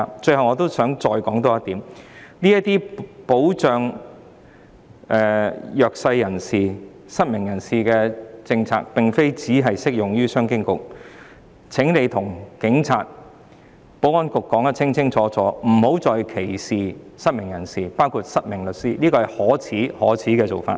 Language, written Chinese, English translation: Cantonese, 最後我想再提出一點，這些保障弱勢人士、失明人士的政策並非只適用於商務及經濟發展局，請官員清楚告訴警察和保安局，不要再歧視失明人士，包括失明律師，這是十分可耻的做法。, Last but not least I want to highlight one more point . Policies to protect the disadvantaged people and the blind persons are not only applicable to the Commerce and Economic Development Bureau . Government officials should tell the Police and the Security Bureau loud and clear that they should not discriminate against the blind persons including the blind lawyer as this is very shameful